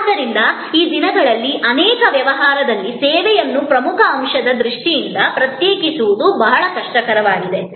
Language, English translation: Kannada, So, these days in many business is it is become very difficult to distinguish the service in terms of the core element